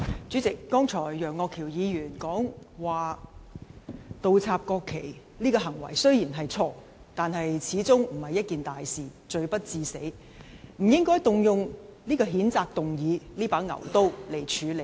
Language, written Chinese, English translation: Cantonese, 主席，楊岳橋議員剛才指倒插國旗這行為雖然錯，但始終不是一件大事，罪不致死，不應動用譴責議案這把牛刀來處理。, President Mr Alvin YEUNG stated just now that the act of inverting the national flags is wrong but after all it is not a serious issue and not a fatal wrongdoing so it should not be settled by means of the censure motion which is an overkill